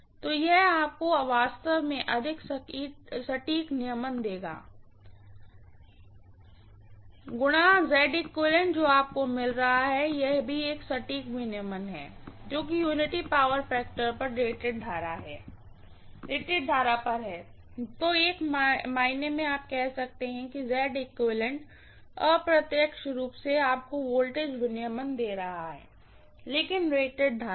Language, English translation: Hindi, So it will give you more accurate regulation actually, I times Z equivalent what you are getting is a very, very accurate regulation at rated current at unity power factor that is what it is yes, so in one sense you can say Z equivalent is indirectly giving you the voltage regulation, but at rated current, at rated current, clear